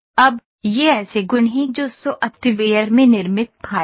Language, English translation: Hindi, Now, these are the properties which are the files in built in the software